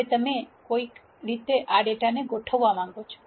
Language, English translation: Gujarati, Now you want to organize this data somehow